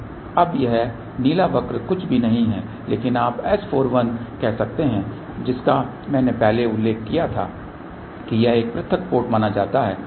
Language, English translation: Hindi, Now this blue curve is nothing, but you can say S 4 1 which I had mention earlier it is supposed to be an isolated port